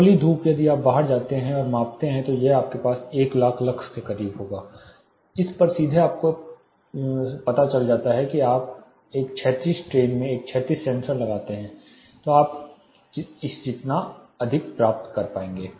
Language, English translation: Hindi, Plane sunshine, if you go out and measure it will be close to 1 lakh lux you may get, directly on this you know if you put a horizontal you know sensor in a horizontal plane you will able to get as high as this